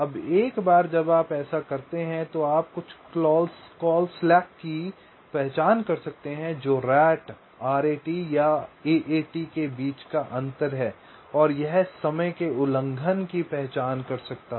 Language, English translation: Hindi, now, once you do this, so you can identify something call slack, which is the difference between rat and aat, and that can identify the timing violations for some cell